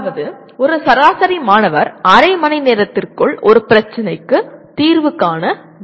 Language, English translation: Tamil, That means an average student should be able to find the solution to a problem within half an hour